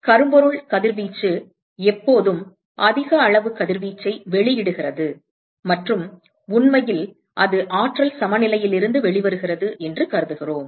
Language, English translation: Tamil, So, we assume that blackbody radiation always emits the highest amount of radiation and in fact that comes out of the energy balance